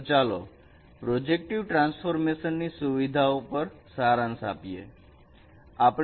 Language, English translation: Gujarati, So, let us summarize what are the features of a projective transformation